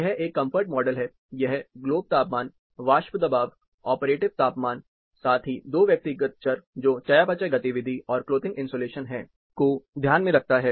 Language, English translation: Hindi, This is a comfort model, this takes into account, globe temperature, vapor pressure, operative temperature, as well as 2 personal variables, which is, metabolic activity and clothing insulation